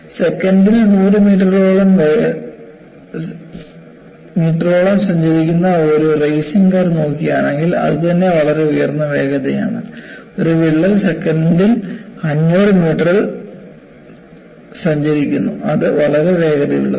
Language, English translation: Malayalam, You know, if you look at a racing car, that travels around 100 meters per second, that itself with very high speed and imagine, a crack travels at 500 meters per second, it is really very fast